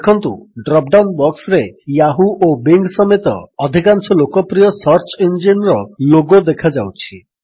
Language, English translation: Odia, We notice that a drop down box appears with the logos of most popular search engines, including Yahoo and Bing